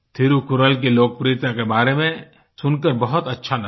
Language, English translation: Hindi, It felt nice to learn about the popularity of Thirukkural